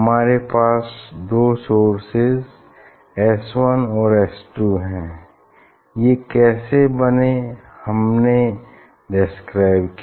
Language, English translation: Hindi, We have two source S 1 and S 2, how it is generated that we described